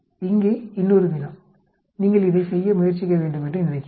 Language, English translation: Tamil, Another problem here, I think you people should try to work it out